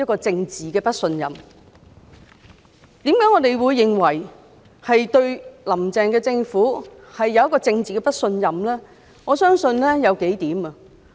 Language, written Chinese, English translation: Cantonese, 至於我們為何對"林鄭"政府政治不信任，我相信有數項原因。, Why do we lack confidence in the Carrie LAM Administration politically? . I believe there are several reasons